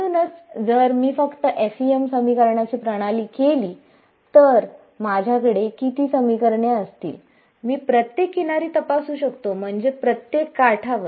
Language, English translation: Marathi, So, if I just do the FEM system of equations I will have how many equations; I can test along each of the boundaries I mean each of the edges